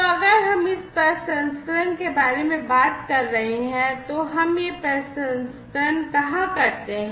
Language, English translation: Hindi, So, if we are talking about this processing, where do we do this processing